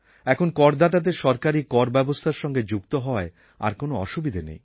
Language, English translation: Bengali, Now it is not very difficult for the taxpayer to get connected with the taxation system of the government